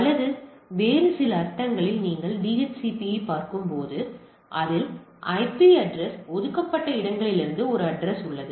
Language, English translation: Tamil, Or in other sense in some cases if we when you look at the DHCP will see it is has a pool of addresses from where the IP address being allocated right